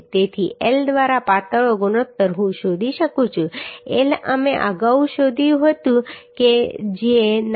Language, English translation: Gujarati, 9 millimetre So L by r the slenderness ratio I can find out L we found earlier that is 9